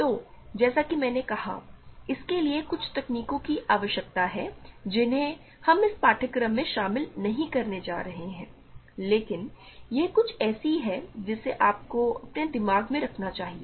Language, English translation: Hindi, So, as I said this requires some techniques that we are not going to cover in this course, but it is something for you to keep in your mind